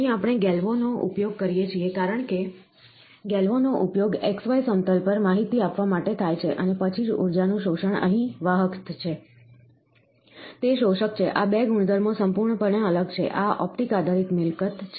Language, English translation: Gujarati, Here we use a galvo, because the galvo is used to give the information on xy plane, then, and then energy absorption is conductive here, it is absorptive, these 2 properties are completely different, this is a optic based property